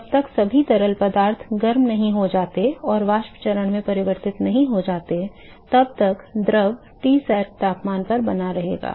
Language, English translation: Hindi, So, liquid is still continue to in Tsat temperature the will continue to be at the boiling point, till all the liquid escapes into the vapor phase ok